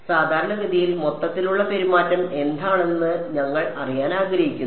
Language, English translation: Malayalam, Typically you are we want to know what is the overall behavior